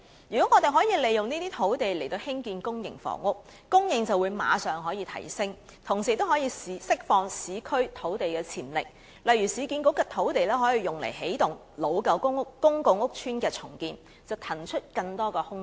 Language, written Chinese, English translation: Cantonese, 如果我們可以利用這些土地來興建公營房屋，供應便可以立即提升，同時亦可以釋放市區土地的潛力，例如市建局的土地可以用作起動舊公共屋邨的重建計劃，騰出更多空間。, If we use these sites for the construction of public housing the supply can be increased immediately and at the same time the potential of urban land can also be released . For example the land sites of URA can be used to activate the redevelopment plans of old public housing estates to vacate more space